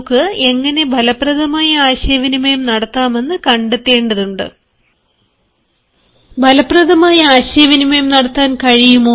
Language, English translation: Malayalam, so we have to find out how can we communicate effectively